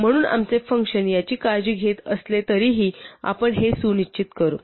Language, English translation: Marathi, So we will just ensure this even though our function does take care of this